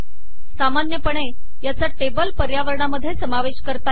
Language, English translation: Marathi, A more common approach is to include it in the table environment